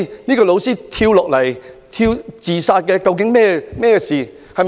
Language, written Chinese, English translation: Cantonese, 這位老師跳樓自殺，究竟有何原因？, What caused the teacher to jump to death?